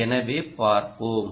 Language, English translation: Tamil, ok, lets see